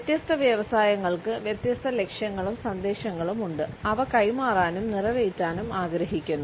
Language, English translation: Malayalam, Different industries have different goals and messages which they want to convey and fulfill